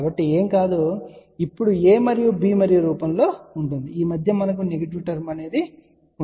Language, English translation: Telugu, So, this will be nothing, but now, in the form of a and b in between we will have a negative term